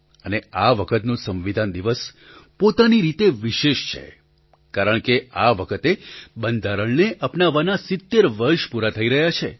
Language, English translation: Gujarati, This year it is even more special as we are completing 70 years of the adoption of the constitution